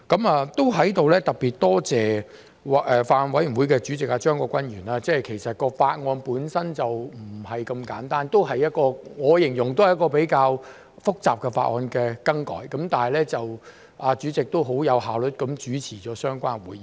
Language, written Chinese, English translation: Cantonese, 我在此特別多謝法案委員會主席張國鈞議員，其實法案本身並不簡單，我形容是一次比較複雜的修改法例工作，但主席也相當有效率地主持會議。, I would like to extend my gratitude to the Chairman of the Bills Committee Mr CHEUNG Kwok - kwan . In fact the Bill itself is not simple . I would describe this as a rather complicated legislative amendment exercise but the Chairman has conducted the meeting very efficiently